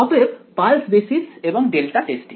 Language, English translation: Bengali, So, pulse basis and delta testing